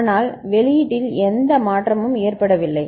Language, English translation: Tamil, But no change in the output has taken place